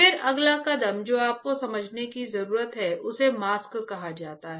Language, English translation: Hindi, Then next step you need to understand is called mask